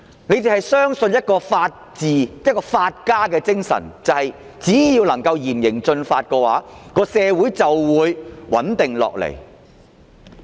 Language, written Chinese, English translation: Cantonese, 他們相信的法治和法家精神，就是只要施以嚴刑峻法，社會便會穩定下來。, The spirit of the rule of law and legalism in which they believe is that society will stabilize once stern laws and severe punishments are imposed